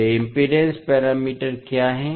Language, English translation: Hindi, What are those impedance parameters